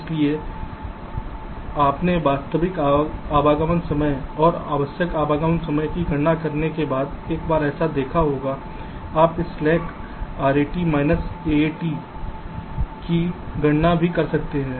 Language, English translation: Hindi, so you have see, once you have calculated the actual arrival time and the required arrival time, you can also calculate this slack: r, eighty minus s e t